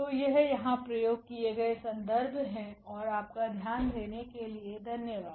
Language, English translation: Hindi, So, these are the references used here and thank you for your attention